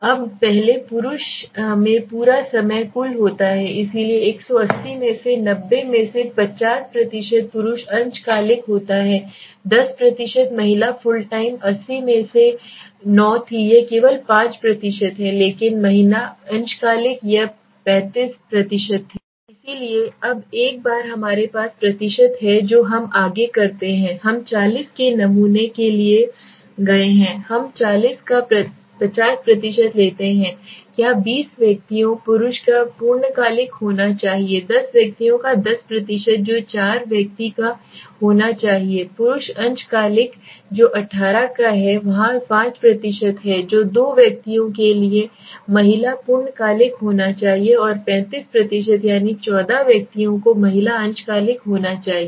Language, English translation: Hindi, Now first into the male full time is total is 180 so 90 out of 180 is of 50% male part time was 10% female fulltime was 9 out of 180 it is only 5% but female part time it was 35% so now once we have the percentages what we do next is we went for a sample of 40 we take 50% of 40 that is 20 individuals right should be male full time 10 individuals 10% that is 4 individual should be male part time which is of 18 there 5% that is two individuals should be female fulltime and 35% that is 14 individuals should be female part time